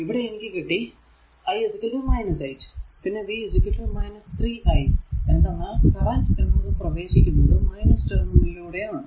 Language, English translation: Malayalam, So, here it is v 0 is equal to 2 i 2 into i 1, now v 1 v 1 is here, the current your i 3 actually entering to the positive terminal